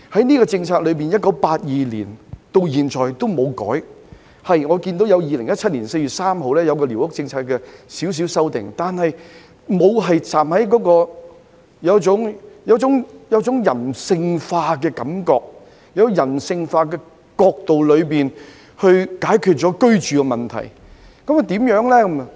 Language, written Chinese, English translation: Cantonese, 寮屋政策自1982年至今從無作出改變，只曾在2017年4月3日進行少許修訂，但予人的感覺卻是沒有從人性化的角度解決居住問題。, There has not been any change to the policy regarding squatter structures since 1982 except the minor amendments made on 3 April 2017 which seemed to approach the housing problem from a non - humanistic point of view